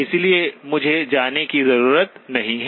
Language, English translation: Hindi, So I may not need to go to